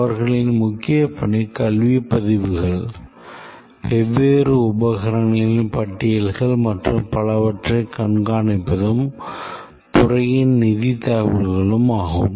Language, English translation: Tamil, Their main work is to keep track of the academic records, the inventory of different equipment and so on, and also the financial information in the department